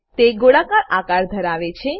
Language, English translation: Gujarati, It has spherical shape